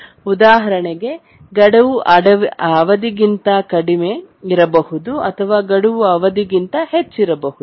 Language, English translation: Kannada, For example, deadline may be less than the period or deadline may be more than the period